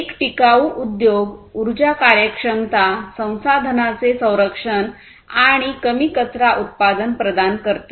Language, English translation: Marathi, So, a sustainable industry basically provides energy efficiency, conservation of resources, and low waste production